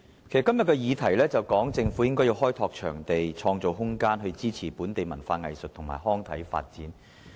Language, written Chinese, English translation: Cantonese, 今天的議題是說，政府應該開拓場地，創造空間，支持本地文化藝術及康體發展。, The topic we are discussing today is that the Government should develop venues and create room to support the development of local culture arts recreation and sports